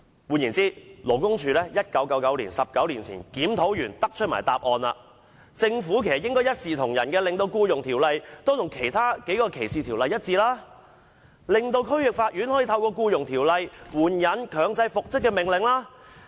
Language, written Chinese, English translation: Cantonese, 換言之，勞工處在1999年——即19年前——已經完成檢討，更得出以下結論：政府應一視同仁，令《僱傭條例》與其他3項歧視條例一致，令區域法院可以透過《僱傭條例》援引強制復職的命令。, In other words LD completed the review 19 years ago in 1999 and it came to the following conclusion The Government should treat all employees equally and make the Employment Ordinance consistent with three other ordinances on discrimination so that the District Court can invoke the orders for reinstatement under the Employment Ordinance